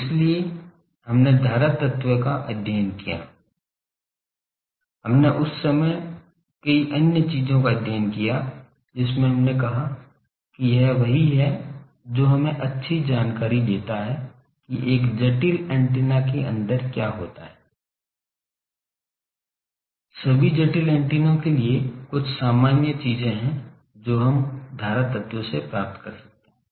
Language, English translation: Hindi, So, that is why current element we studied we studied for many other things that time we said that it is same gives us, very good picture about what happens for other complicated antennas, for all complicated antennas some general things we derived from current element